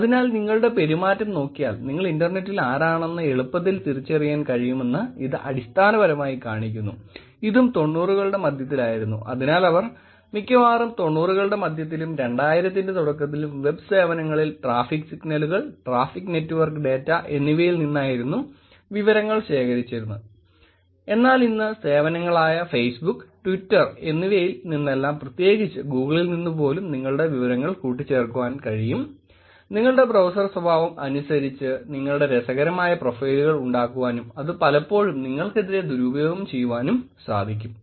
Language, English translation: Malayalam, So, it basically shows that it is easily possible to identify who you are on the internet just by looking at your behaviour and this was also in the mid nineties, so they were probably, mid nineties and early two thousands, they were using only the traffic signals, only the traffic network data and the data that they could collect from these web services, but today they can actually, meaning these services like Facebook, Twitter all of them can put the – Google they can put the data together and actually make interesting profile of yours with just the browser behavior that you have, which can be actually pretty damaging in case, if they want to misuse it against you